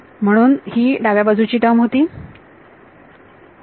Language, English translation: Marathi, So, this was the left hand side term ok